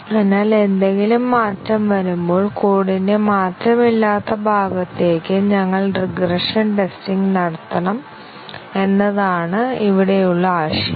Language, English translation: Malayalam, So, that is the idea here that we need to carry out regression testing to the unchanged part of the code, when anything changes